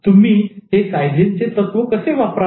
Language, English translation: Marathi, How do you use Kaysen principle